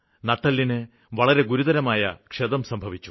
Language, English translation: Malayalam, He suffered serious spinal injury